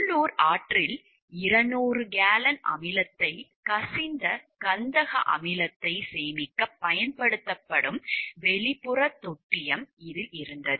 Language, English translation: Tamil, There were also an external tank used to store sulfuric acid that had leaked 200 gallons of acid into a local river